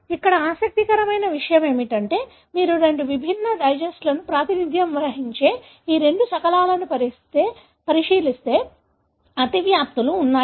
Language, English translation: Telugu, What is interesting here is that if you look into these two fragments which represent two different digest, there are overlaps